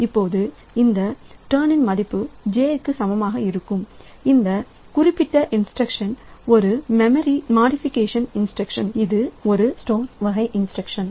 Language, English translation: Tamil, Now, this turn equal to j this particular instruction is a memory modification instruction that store type of instruction